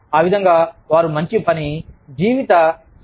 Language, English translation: Telugu, That way, they can achieve a good work life balance